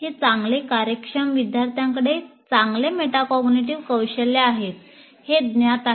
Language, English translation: Marathi, And it is quite known, high performing students have better metacognitive skills